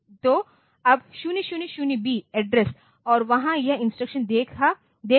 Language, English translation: Hindi, So, now, 000b address and there it is seeing this instruction